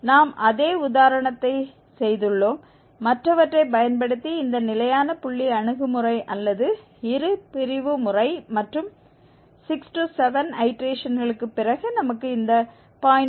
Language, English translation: Tamil, We have done the same example in, using other, this Fixed Point approach Method or Bisection Method and after 6 7 iterations we were getting value which close to this 0